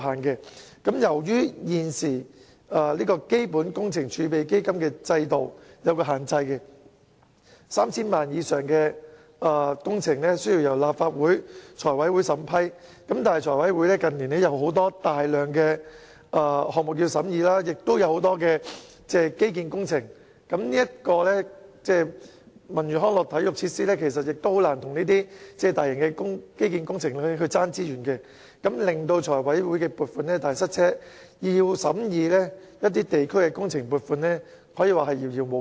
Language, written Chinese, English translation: Cantonese, 此外，由於在現行基本工程儲備基金制度下設置了限制 ，3,000 萬元以上的工程須由立法會財務委員會審批，但財委會近年有大量項目及基建工程要審議，而文娛康體設施實難以跟這些大型基建工程競爭資源，以致財委會撥款"大塞車"，要審議地區工程撥款可以說是遙遙無期。, Besides under the recently imposed restriction on the Capital Works Reserve Fund system projects worth over 30 million are subject to approval by the Finance Committee of Legislative Council FC . But since there is already a large number of projects and infrastructural projects pending approval by FC while it is very difficult for the cultural sports and recreational facilities to compete for resources with these large - scale infrastructural projects we see a gridlock in funding approval by FC and local community projects are unlikely to be approved within the foreseeable future